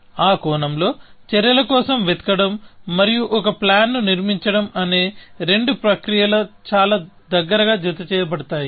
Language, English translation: Telugu, So, in that sense, the two processes of looking for actions and constructing a plan, happens very in a closely coupled fashion